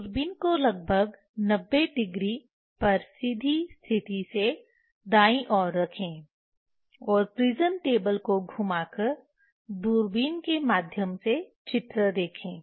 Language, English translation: Hindi, Place the telescope at approximately 90 degree from direct position to the right side and rotate the prism table to see image through telescope